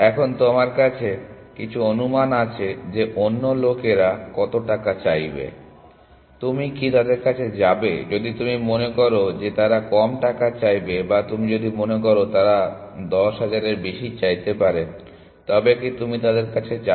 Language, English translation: Bengali, Now, there you have some estimate of how much the other people will charge, will they will you go to them if you think they charge less or will you go to them if you think they charge more than 10000